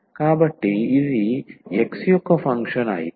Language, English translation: Telugu, So, if this one is a function of x only